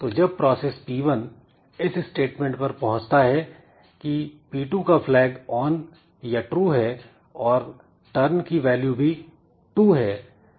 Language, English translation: Hindi, Then when this process 1 comes to this statement it finds that process 2's flag is on and turn is also equal to 2